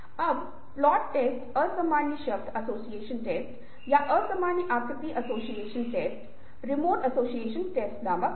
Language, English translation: Hindi, now, plot test were ah, uncommon word association test or uncommon figure association test, remote association test